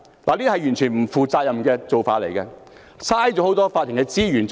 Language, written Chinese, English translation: Cantonese, "這是完全不負責任的做法，浪費法庭資源。, This is totally irresponsible a sheer waster of court resources